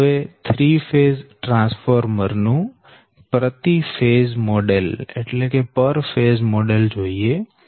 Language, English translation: Gujarati, so the per phase model of a three phase transformer